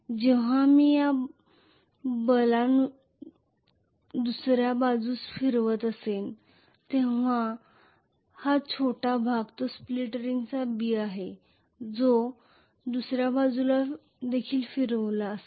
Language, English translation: Marathi, Whereas when I am going to have this B rotating on to the other side along with that this small portion that is B of the split ring that would have also rotated to the other side